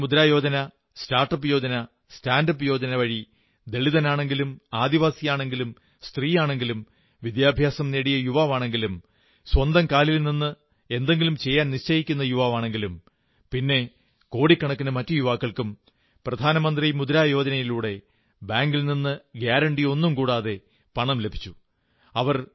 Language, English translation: Malayalam, Pradhan Mantri Mudra Yojna, Start Up Yojna, Stand Up Yojna for Dalits, Adivasis, women, educated youth, youth who want to stand on their own feet for millions and millions through Pradhan Mantri Mudra Yojna, they have been able to get loans from banks without any guarantee